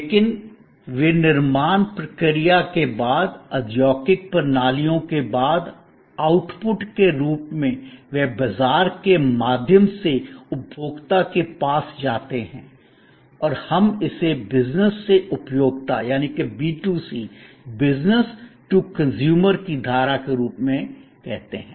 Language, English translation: Hindi, But, post manufacturing process, post industrial systems as outputs, they go to the consumer through the market and we call it as the business to consumer stream